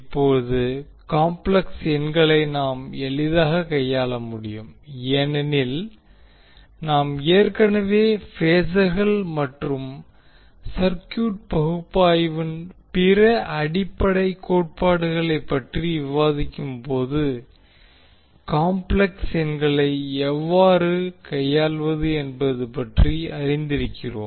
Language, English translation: Tamil, Now the complex numbers we can easily handle because we have already discussed how to deal with the complex numbers when we were discussing about the phasors and the other fundamental theorems of the circuit analysis